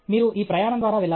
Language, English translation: Telugu, You will have to go through this journey okay